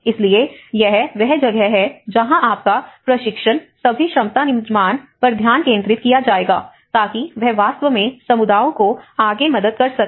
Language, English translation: Hindi, So, that is where your training, all the capacity building will focus so that it can actually help the communities further